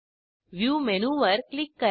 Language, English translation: Marathi, Click on the View menu